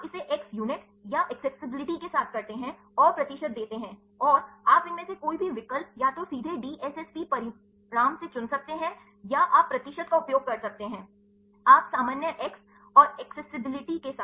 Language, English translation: Hindi, You would do it with the X units, or accessibility and give the percentage and, you can choose any of these options either the directly from the DSSP result, or you can use the percentage you can normalize with the X and X accessibility